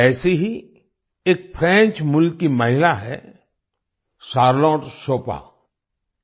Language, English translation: Hindi, Similarly there is a woman of French origin Charlotte Chopin